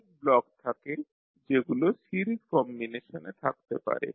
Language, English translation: Bengali, Now there are the blocks which may be in series combinations